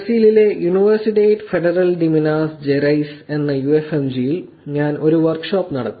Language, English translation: Malayalam, I did a work shop at UFMG which is Universidade Federal de Minas Gerais in Brazil